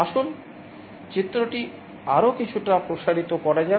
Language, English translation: Bengali, Let us expand the diagram a little bit more